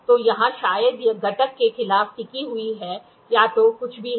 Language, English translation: Hindi, So, here it rests against the maybe a component or whatever it is